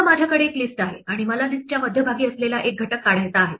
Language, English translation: Marathi, Supposing, I have a list and I want to remove an element from the middle of the list